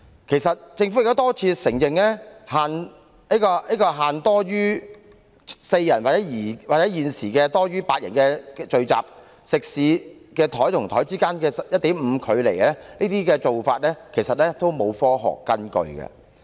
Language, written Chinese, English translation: Cantonese, 其實，政府已多次承認，之前作出限制，禁止多於4人或現時8人的聚集，以及食肆每張桌子之間要有 1.5 米距離的做法，其實完全沒有科學根據。, As a matter of fact the Government has repeatedly admitted that there was indeed no scientific basis at all for the previous or present restrictions on prohibiting group gatherings of more than four or eight people and those concerning the maintenance of a distance of 1.5 m between dining tables in catering outlets